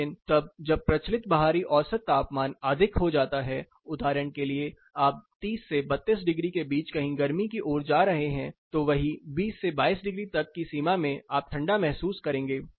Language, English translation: Hindi, But then when the prevailing outdoor mean temperature gets higher, for example you are going towards summer somewhere between 30, 32 degrees then this particular limit the same 20 to 22 degrees, you will perceive us being cool or cold